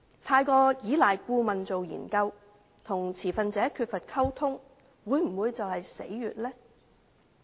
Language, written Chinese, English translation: Cantonese, 過分依賴顧問進行研究，與持份者缺乏溝通，會否便是其死穴呢？, Is over reliance on consultancy studies and the lack of communication with stakeholders their Achilles heel?